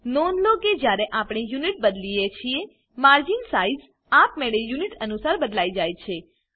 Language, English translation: Gujarati, Note that when we change the Unit, margin sizes automatically change to suit the Unit